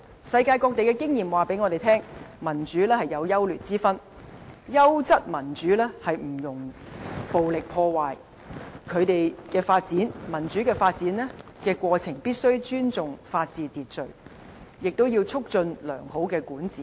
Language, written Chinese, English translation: Cantonese, 世界各地的經驗告訴我們，民主有優劣之分，優質民主不容暴力破壞，民主發展的過程必須尊重法治秩序，也要促進良好的管治。, Experience worldwide illustrates that the quality of a democratic system can vary a great deal . Democracy with good quality leaves no room for violence . In the process of democratic development we must respect rule of law and order as well as promote good governance